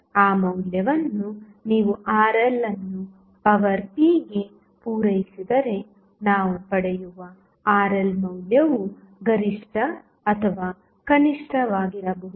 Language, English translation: Kannada, The Rl value what we get if you supply that value Rl into the power p power might be maximum or minimum